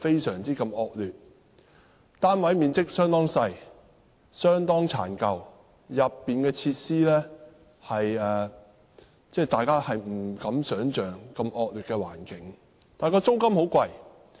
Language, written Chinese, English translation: Cantonese, 殘舊的單位面積相當細小，設施的惡劣程度令人不敢想象，但租金卻十分昂貴。, Their dilapidated units are very small and the facilities are unimaginably poor yet the rents are sky - high